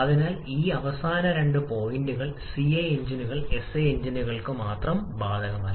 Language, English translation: Malayalam, So, this last two points are not applicable for CI engines only for SI engines